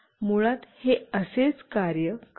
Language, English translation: Marathi, So, this is how it basically works